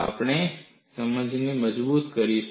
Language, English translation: Gujarati, We will reinforce our understanding